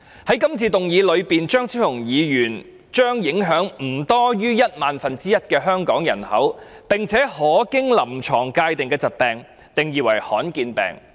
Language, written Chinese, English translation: Cantonese, 在今次的議案中，張超雄議員將影響不多於一萬分之一的香港人口，並且可經臨床界定的疾病，定義為罕見疾病。, In the motion Dr Fernando CHEUNG defines a disease which affects no more than 1 in 10 000 individuals in Hong Kong and is clinically definable as a rare disease